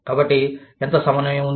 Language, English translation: Telugu, So, how much of coordination, there is